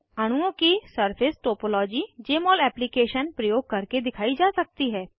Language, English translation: Hindi, Surface topology of the molecules can be displayed by using Jmol Application